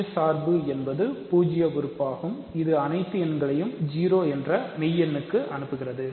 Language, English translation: Tamil, So, the zero function so, zero element is the zero function zero function is a function which sends every real number to the real number 0